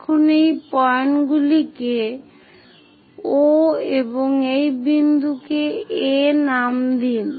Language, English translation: Bengali, Now, name these points as O and this point as A